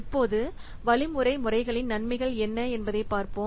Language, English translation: Tamil, Now let's see what are the advantages of algorithm methods